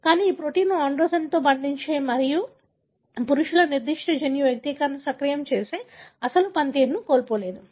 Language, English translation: Telugu, But, these proteins did not lose its original function that is binding to androgen and activating a male specific gene expression